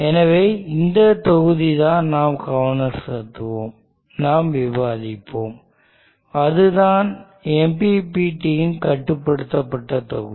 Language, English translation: Tamil, So this block is what we will be focusing on, we will be discussing and that is the MPPT controller block